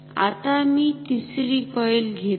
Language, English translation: Marathi, Now, let me take a 3rd coil ok